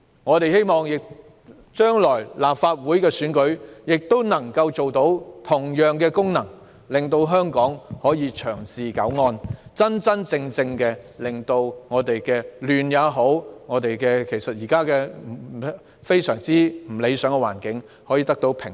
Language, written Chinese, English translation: Cantonese, 我們希望將來的立法會選舉亦能發揮同樣的功能，令香港能夠長治久安，真真正正令社會亂象，以及現時非常不理想的環境，得到平息。, We hope that the Legislative Council election to be held in future can have the same effect so that Hong Kong can have long - time peace and stability and social chaos and the present very unsatisfactory conditions will really disappear